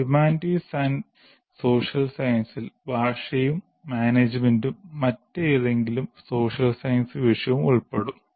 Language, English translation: Malayalam, This will include language and including management and any other social science subject